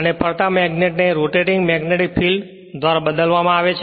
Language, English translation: Gujarati, And the moving magnet is replaced by rotating field